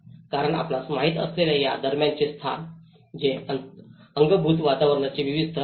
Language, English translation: Marathi, Because these intermediate spaces you know, these are the various layers of the built environment